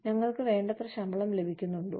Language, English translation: Malayalam, You know, are we getting paid, enough